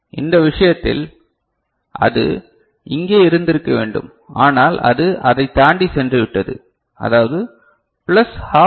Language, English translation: Tamil, In this case, it should have been over here, but it has gone beyond that right, so this is plus half LSB